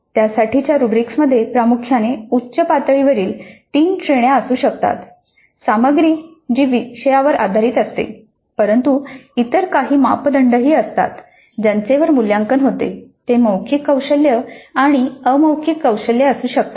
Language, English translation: Marathi, The rubrics for that could contain primarily at the highest level three categories, the content itself which typically is based on the course but there are other things, other parameters on which the evaluation takes place, they can be vocal skills and non verbal skills